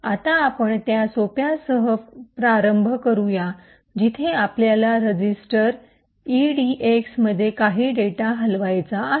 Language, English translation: Marathi, So, let us start with the simple one where we want to move some data into the register edx